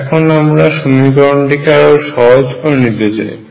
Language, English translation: Bengali, Let us now simplify this equation